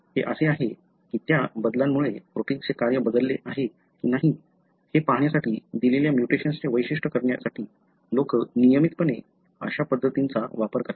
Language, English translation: Marathi, So, this is, routinely people use this kind of approaches to characterize a given mutation to see whether that change has altered the function of the protein